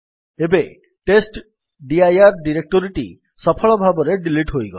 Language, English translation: Odia, Now the testdir directory has been successfully deleted